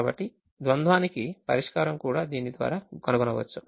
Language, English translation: Telugu, so the solution to the dual can also be found through this